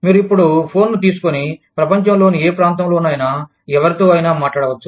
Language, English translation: Telugu, You can, now pick up the phone, and call up anybody, in any part of the world